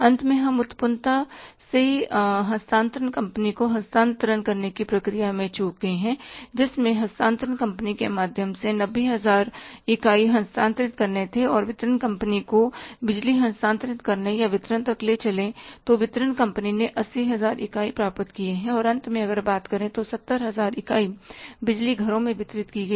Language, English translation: Hindi, Finally we lost in the process of transmission from the generation to the transmission company, we handed over the 90,000 units to the transmission company and in the process of transmitting the power to the distribution company or taking it up to the distribution company, distribution company received 80,000 units of the power and finally if you talk about 70,000 units of the power was distributed to the households